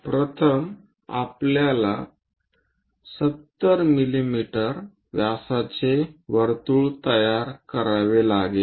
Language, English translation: Marathi, First, we have to construct a circle of diameter 70 mm